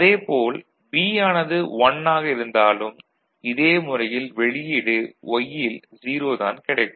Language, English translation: Tamil, So, instead of that, if B is 1, this output will be 0 which will force the Y to be 0